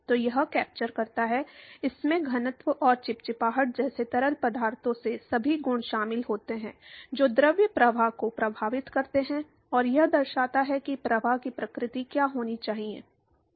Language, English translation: Hindi, So, it captures, it incorporates all the properties of the fluid like density and viscosity, which effects the fluid flow and it characterizes as to what should be the nature of the flow